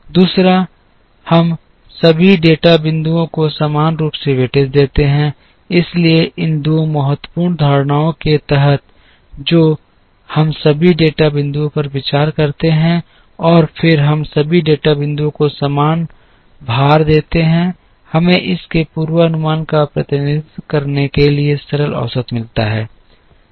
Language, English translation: Hindi, Second is we give equal weightage to all the data points, so under these two important assumptions that we consider all the data points, and then we give equal weightage to all the data points, we get simple average to represent the forecast of this